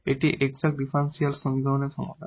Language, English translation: Bengali, So, what are the exact differential equations